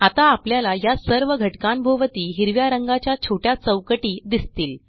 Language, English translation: Marathi, Now we see that all these elements are encased in small green boxes